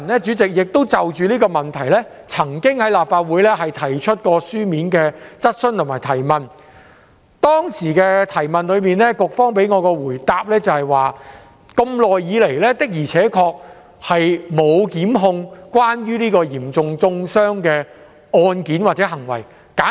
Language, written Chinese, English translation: Cantonese, 主席，我曾就這個問題在立法會會議上提出書面質詢，而當時局方給我的答覆是，長久以來的確沒有就有關嚴重中傷的案件或行為作出檢控。, President regarding this matter I had raised a written questions at a Legislative Council meeting and the reply given to me by the Bureau at that time was that no prosecution had indeed been instituted for any cases or acts relating to serious vilification so far